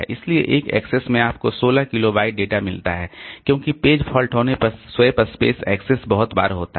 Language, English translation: Hindi, So, in one axis you get 16 kilobyte of data because swap space access is very frequent when there is a page fault